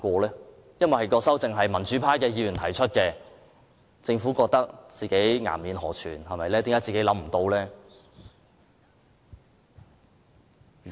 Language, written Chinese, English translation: Cantonese, 原因是修正案由民主派議員提出，政府覺得自己顏面無存，為何民主派議員想到而自己想不到？, Does the Government consider that it would lose face if the amendment is proposed by a democratic Member implying that it failed to come up with the idea?